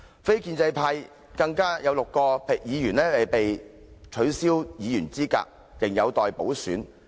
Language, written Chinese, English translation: Cantonese, 非建制派更有6位議員被取消議員資格，仍有待補選。, Moreover six non - establishment Members have been disqualified from office and a by - election has yet to be held